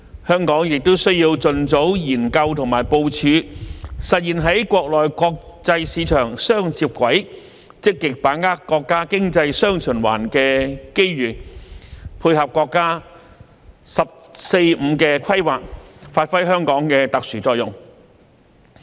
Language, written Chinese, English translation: Cantonese, 香港亦需要盡早研究和部署實現在國內國際市場"雙接軌"，積極把握國家經濟"雙循環"的機遇，配合國家"十四五"規劃，發揮香港的特殊作用。, It is also imperative for Hong Kong to conduct studies and plan early to link up with domestic and international markets actively grasp the opportunities brought by the dual circulation in the countrys economy and complement the National 14 Five - Year Plan to give play to its special role